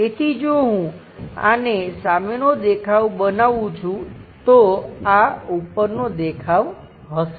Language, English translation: Gujarati, So, if I am making this one as the front view front view, this one will be the top view